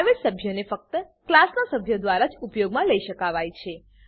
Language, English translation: Gujarati, Private members can be used only by the members of the class